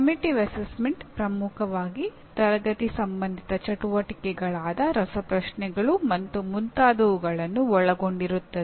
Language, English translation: Kannada, And formative assignment will include dominantly classroom related activities like quizzes and so on